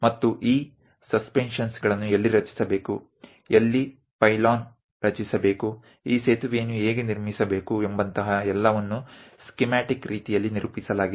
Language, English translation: Kannada, And something like where these suspensions has to be created, where pylon has to be created, the way how this bridge has to be constructed, everything is in a schematic way represented